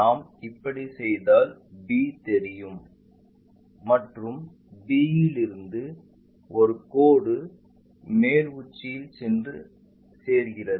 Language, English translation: Tamil, If we do that b will be visible it goes and from b there is a line which goes and joins the top apex that one will be this one